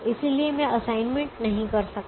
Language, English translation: Hindi, so this one, we cannot have an assignment